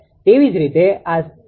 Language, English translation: Gujarati, Similarly this one it is 0